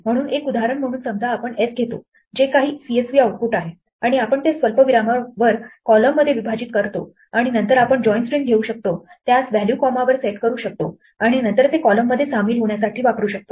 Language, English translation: Marathi, So as an example, supposing we take s which is some CSV output and we split it into columns on comma, and then we can take join string and set it to the value comma and then use that to join the columns